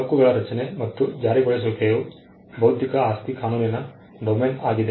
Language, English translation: Kannada, Rights creation and enforcement is the domain of intellectual property law